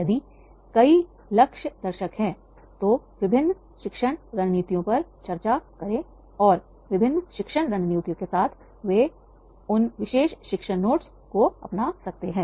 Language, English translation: Hindi, If multiple target audiences are there, discuss different teaching strategies and with the different teaching strategies, they can adopt those particular teaching notes